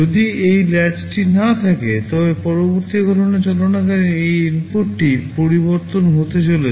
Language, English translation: Bengali, If this latch was not there, then while the next calculation is going on this input will go on changing